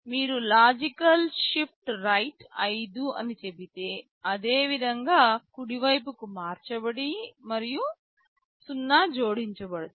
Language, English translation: Telugu, If you say logical shift right by 5 positions similarly you shift right and 0’s get added